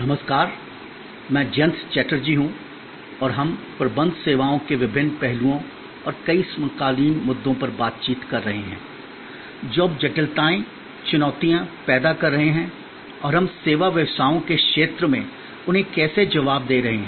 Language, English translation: Hindi, Hello, I am Jayanta Chatterjee and we are interacting on the various aspects of Managing Services and the many contemporary issues that now creates complexities, challenges and how we are managing to respond to them in the domain of the service businesses